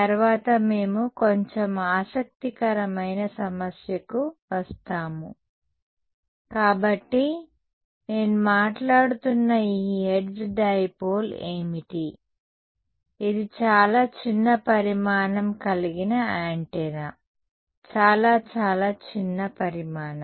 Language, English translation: Telugu, Well, later on we will come to a little more interesting problem that if I give you; so, what is this Hertz dipole that I am talking about, it is an antenna of very very small dimension; very very tiny dimension